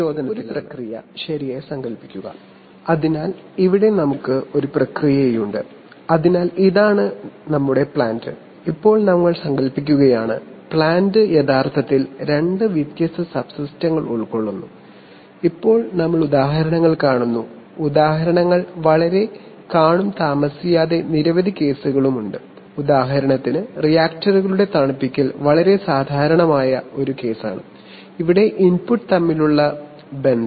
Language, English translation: Malayalam, So here we have a, imagine a process right, so here we have a process, so this is our plant, now we are just imagining that the plant is actually consisting of two different subsystems, presently we see examples, we will see examples very shortly there are many cases, for example cooling of reactors is a very typical case, where the relationship between the input